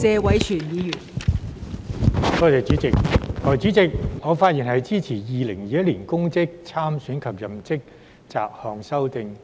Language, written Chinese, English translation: Cantonese, 代理主席，我發言支持《2021年公職條例草案》二讀。, Deputy President I speak in support of the Second Reading of the Public Offices Bill 2021 the Bill